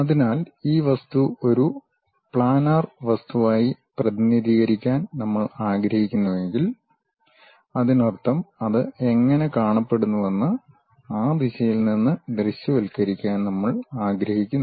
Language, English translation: Malayalam, So, this object if we would like to represent as a planar view; that means, we would like to really visualize it from that direction how it looks like